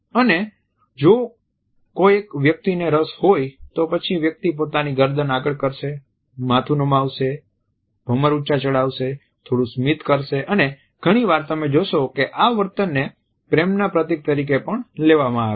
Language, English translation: Gujarati, At the same time is somebody is interested, then the neck maybe exposed, the head may be tilted the eyebrows may be raised there may be a little smile and often you would find that this is understood as a courtship signal also